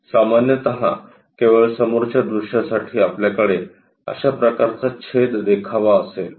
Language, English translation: Marathi, Usually, for front view only we will be having that kind of cut section